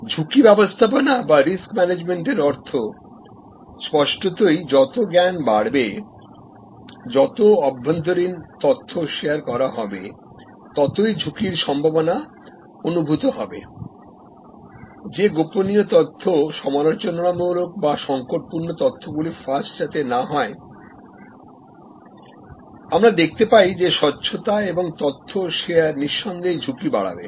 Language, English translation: Bengali, Risk management means; obviously, as more knowledge, more internal information will be shared there will be a sense of risk that whether confidential information, whether critical information will leak out, but we find that the transparency and the sharing of information, no doubt increases the risk